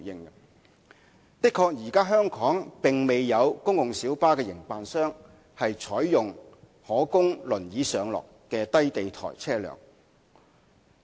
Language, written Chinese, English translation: Cantonese, 首先，香港現時確實未有公共小巴營辦商採用可供輪椅上落的低地台車輛。, First none of the PLB operators in Hong Kong is currently adopting low - floor wheelchair - accessible vehicles indeed